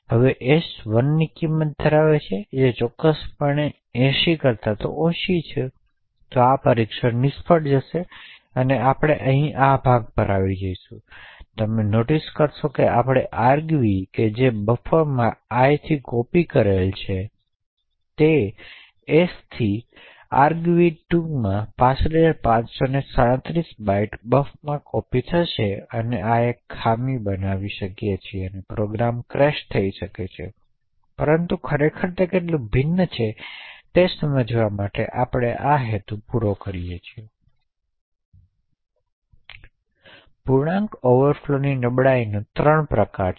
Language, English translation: Gujarati, Now s has a value of 1 which is definitely less than 80, so this test will fail and we would enter this part and here you notice that we are copying argv2 into buf with respect to i and not s thus we would copy 65537 bytes from argv2 into buf so this may create a fault and the program may crash but it serves the purpose to actually understand how difference between a shot and an int and seemingly denying statements such as this could actually create havoc in your program